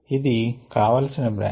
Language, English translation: Telugu, this is the desired branch